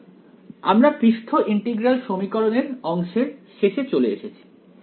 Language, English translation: Bengali, So, that brings us to on end of the part of surface integral equations